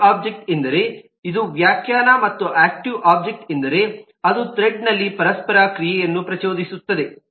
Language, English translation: Kannada, an active object is this is the definition and an active object is which instigates an interaction in a thread